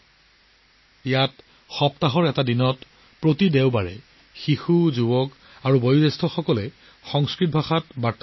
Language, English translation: Assamese, Here, once a week, every Sunday, children, youth and elders talk to each other in Sanskrit